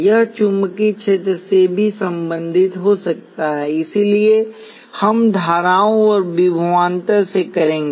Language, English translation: Hindi, This could also be related to the magnetic fields as well, so we will deal with currents and voltages